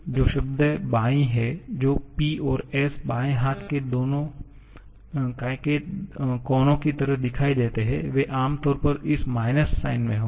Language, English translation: Hindi, The terms which appear on the left hand side like the P and s or left hand side corners, they are generally will have this minus sign